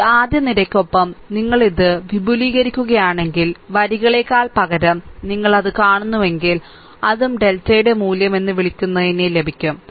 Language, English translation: Malayalam, If you see that rather than your, rather than rows if you expand this along this first column, right that also will that also will get that your what you call the value of delta